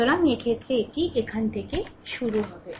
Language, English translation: Bengali, So, in this case it will be move starting from here